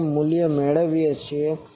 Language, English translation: Gujarati, whatever value we obtain